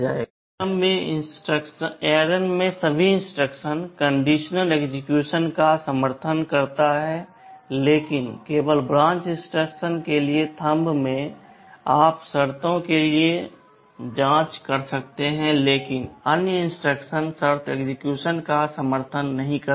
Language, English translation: Hindi, In ARM almost all the instructions support condition execution, but in Thumb only for branch instruction you can check for conditions, but other instruction do not support conditional execution